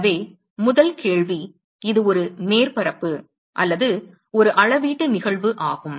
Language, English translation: Tamil, So, the first question is it a surface area or a volumetric phenomena